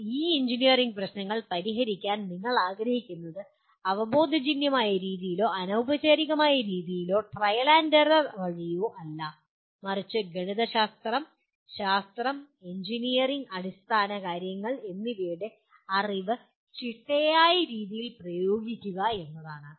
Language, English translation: Malayalam, But you want to solve these engineering problems not in any what do you call intuitive way or ad hoc manner or by trial and error but applying the knowledge of the mathematics, science, and engineering fundamentals in a systematic manner